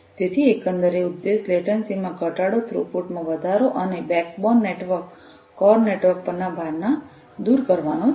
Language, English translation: Gujarati, So, the overall objective is to reduce the latency increase throughput and eliminate load onto the backbone network, the core network